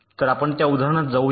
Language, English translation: Marathi, so lets go to that example